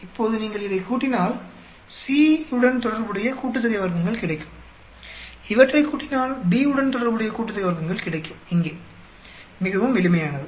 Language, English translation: Tamil, Now, if you add these you will get sum of squares for corresponding to C, if you add these you will get sum of squares corresponding to B here, quite simple